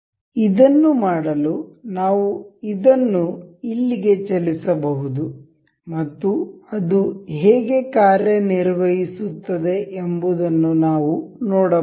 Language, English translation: Kannada, To do this, we can move this here and we can see how it works